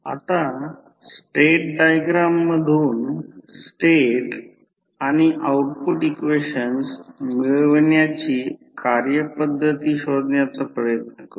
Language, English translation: Marathi, Now, let us try to find out the procedure of deriving the state and output equations from the state diagram